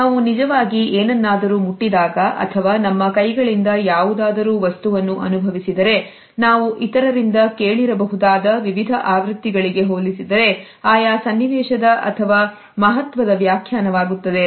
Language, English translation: Kannada, If we have actually touched something or we have experienced something with our hands, then this becomes a significant interpretation of the scenario in comparison to various versions which we might have heard from others